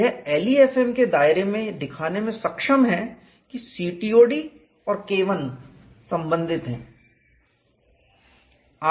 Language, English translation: Hindi, It is able to show within the confines of LEFM, COD and K 1 are related